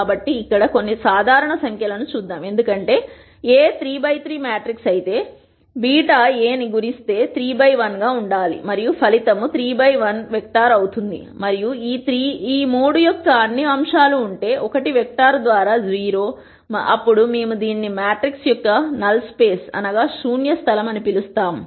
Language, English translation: Telugu, So, let us do some simple numbers here for example, if A is a 3 by 3 matrix because beta multiplies A beta has to be 3 by 1 and the resultant will be some 3 by 1 vector and if all the elements of this 3 by 1 vector are 0, then we would call this beta as being the null space of the matrix